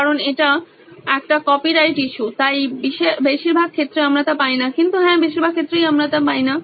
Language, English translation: Bengali, Because it is a copyright issue, so mostly we do not get it but… Yes mostly we do not get it